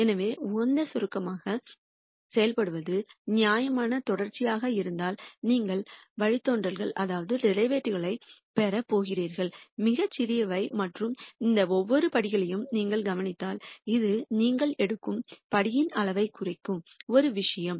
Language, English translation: Tamil, So, as close to the optimum if the function is reasonably continuous then you are going to have derivatives which are very small and if you notice each of these steps, this is one thing that dictates the size of the step you take